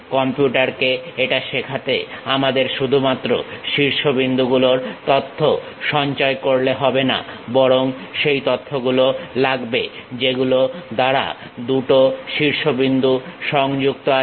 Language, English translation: Bengali, To teach it to the computer, we have to store not only that vertices information, but a information which are the two vertices connected with each other